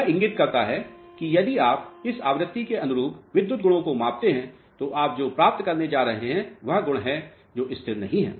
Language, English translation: Hindi, What it indicates is if you measure a electrical property corresponding to this frequency, what you are going to get is the properties which are not stable